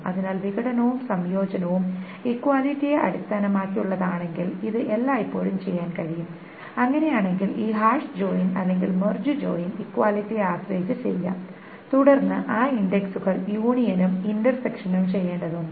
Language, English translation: Malayalam, If the disjunction and the conjunction is only based on equality, then this hash join or merge join may be done depending on the equality and then those indexes union and intersection needs to be done